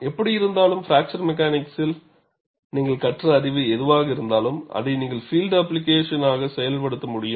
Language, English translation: Tamil, Someway, whatever the knowledge you have gained in fracture mechanics, you should be able to translate it to field application